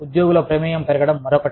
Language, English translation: Telugu, Increasing employee involvement is another one